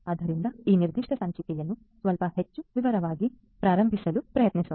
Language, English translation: Kannada, So, let us try to begin into this particular issue in little bit more detail